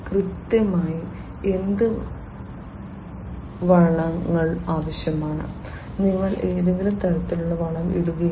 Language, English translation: Malayalam, What fertilizers exactly would be required, not that you know you put in any kind of fertilizer it will be